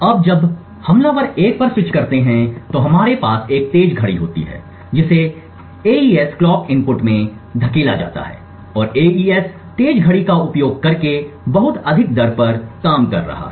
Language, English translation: Hindi, Now when the attackers switches to 1 so momentarily we would have a fast clock that is pushed into the AES clock input and momentarily the AES is functioning at a very high rate using the fast clock